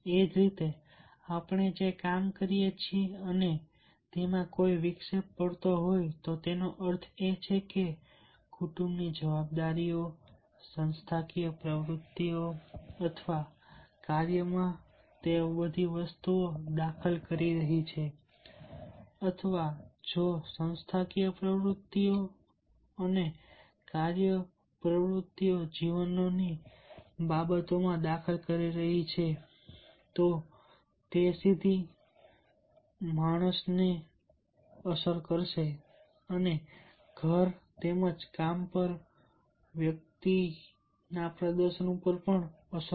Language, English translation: Gujarati, and if there is a spill over, that means the family responsibilities are interfering with the organizational activities or the work, or if the organizational activities or the work activities are interfering with the life affairs, then it will directly influence the performance of the individual at home as well as at work